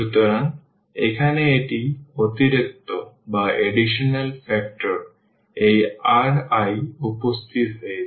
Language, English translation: Bengali, So, here one additional factor this r i has appear